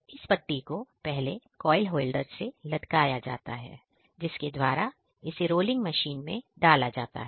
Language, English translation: Hindi, This strip coil is hanged with coil holder from where strip goes to rolling machine